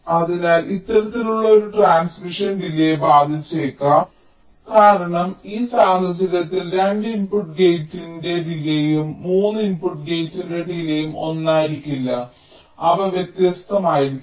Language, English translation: Malayalam, so this kind of a transmission may also have an impact on the delay, because in this case the delay of a two input gate and a delay of three input gate will not be the same, they will be different